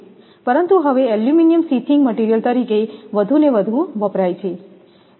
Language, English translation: Gujarati, But, aluminum is now being increasingly used as a sheathing material